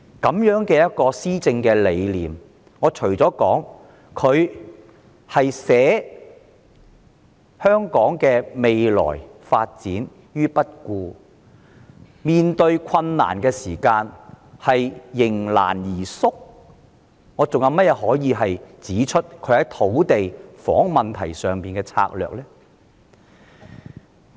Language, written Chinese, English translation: Cantonese, 對於這種施政理念，我除了說她捨香港的未來發展於不顧，以及在面對困難時迎難而退縮外，還可以說她對土地和房屋問題有甚麼策略嗎？, For such philosophy of governance apart from saying that she has turned a blind eye to the future development of Hong Kong and shrunk back from the challenges ahead what else can I say about her strategies for land and housing issues?